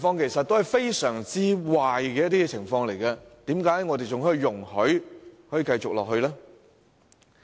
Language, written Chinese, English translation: Cantonese, 以上是相當壞的情況，為何我們仍容許這些情況繼續發生？, These situations were quite bad but why do we allow them to continue all the same?